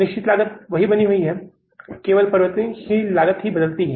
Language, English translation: Hindi, Fix cost has remained the same, only variable cost has changed